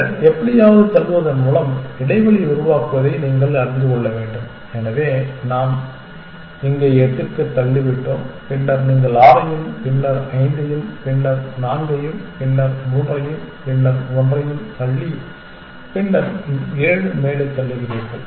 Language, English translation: Tamil, Then, you have to you know somehow create the gap by pushing, so we have pushed eight here, then you push 6 and then 5 and then 4 and then 3 then 2 and then 1 and then